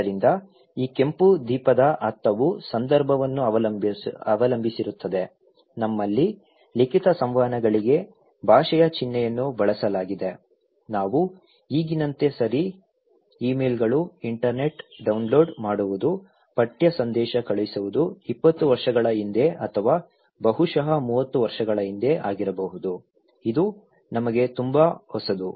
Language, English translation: Kannada, So, the meaning of this red light depends on the context similarly, we have language symbol used for written communications okay like nowadays, we are talking about emails, internets, downloading, texting which was not there just maybe 20 years before okay or maybe 30 years before so, which is very new to us